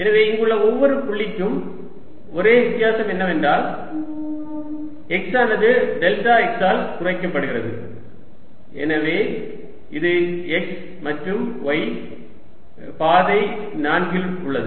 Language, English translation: Tamil, so for each point here, the only difference is that x is reduced by delta x, so it's at x and y path four